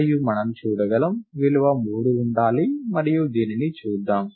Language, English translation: Telugu, And we can see that, the value should be 3 and let us see this